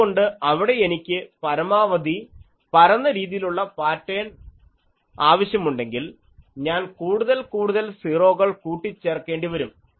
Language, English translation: Malayalam, So, there if I want a maximally flat type of pattern, then we put more and more zeros